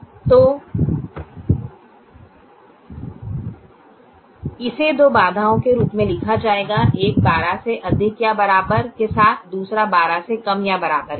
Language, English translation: Hindi, so this will be written as two constraints, one with greater than or equal to twelve, the other with less than or equal to twelve